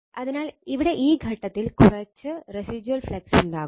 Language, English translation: Malayalam, So, here at this point, it will come some residual flux will be there